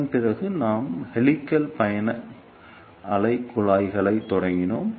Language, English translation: Tamil, After that we started helix travelling wave tubes